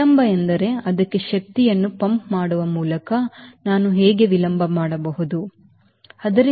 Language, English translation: Kannada, delay means how can i do a delay by pumping energy to it, right